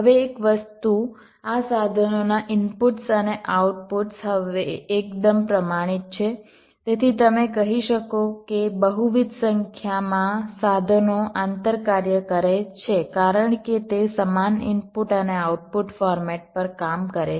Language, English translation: Gujarati, now, one thing, ah, the inputs and the outputs of this tools are now fairly standardized so that you can you can say, inter operate multiple number of tools because they work on the same input and output formats